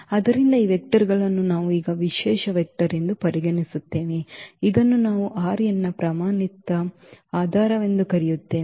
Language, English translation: Kannada, So, we consider these vectors now very special vector which we call the standard basis of R n